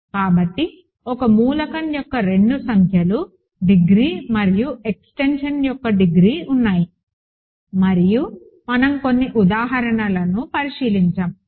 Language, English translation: Telugu, So, there are two numbers degree of an element and degree of the extension, and we looked at some examples